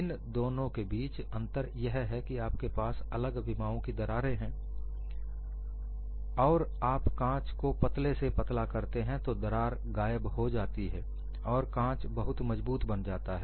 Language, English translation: Hindi, The difference between the two is, you have cracks of various dimensions exist, and if you draw the glass thinner and thinner the cracks diminish and glass becomes very strong